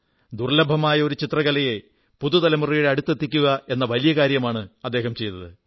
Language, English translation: Malayalam, He is doing a great job of extending this rare painting art form to the present generation